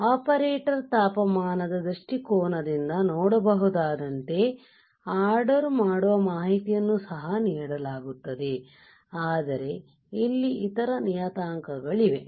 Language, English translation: Kannada, So, to the ordering information is also given as you can see here right from the temperature point of view from the operator temperature point of view, but there are other parameters also